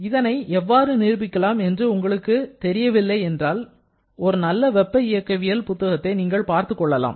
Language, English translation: Tamil, If you are not sure about how to prove that, you can refer to any standard thermodynamics book